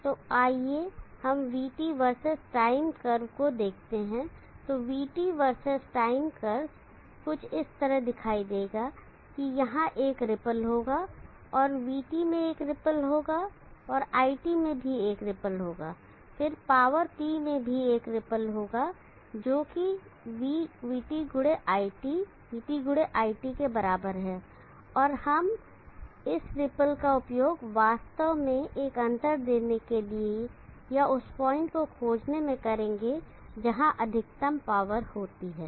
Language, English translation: Hindi, So let as look at the VT verses time curve, so the VT versus time curve will look something like this that there will be a ripple and there will be a ripple in VT, and also there will be a ripple in it and then there will be a ripple in the power P which is =V x IT, VT x IT, and we will use this ripple to actually give a distinction or trying to find the point where the maximum power occurs